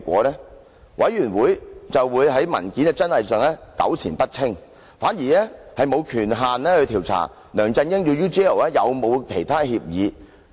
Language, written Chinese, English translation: Cantonese, 專責委員會便會在文件的真偽上糾纏不清，反而沒有權限調查梁振英與 UGL 有否其他協議。, The Select Committee will become entangled in the authenticity of the document and it will not have the authority to inquire into whether there are other agreements signed between LEUNG Chun - ying and UGL